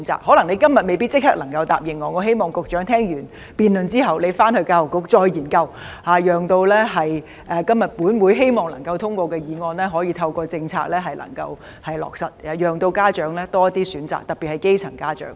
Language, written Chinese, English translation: Cantonese, 可能局長今天未必立即能夠答應我，我希望他聽完辯論後再研究，讓本會今天能夠通過議案，以透過政策讓家長有多些選擇，特別是基層家長。, Perhaps the Secretary cannot immediately make any promise to me today but I hope that he will conduct studies after listening to our debate so that after this Council passes this motion today parents particularly grass - roots parents can be provided with more choices through the formulation of policies